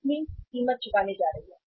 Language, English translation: Hindi, Company is going to pay the price